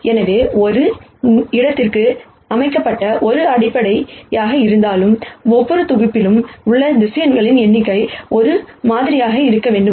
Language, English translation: Tamil, So, if it is a basis set for the same space, the number of vectors in each set should be the same